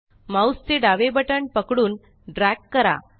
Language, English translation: Marathi, Hold the left mouse button and drag